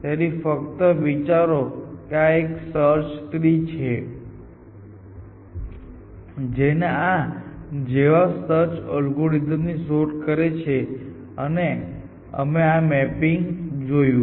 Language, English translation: Gujarati, So, just imagine that this is a search tree that that search same search algorithm generates and we saw this mapping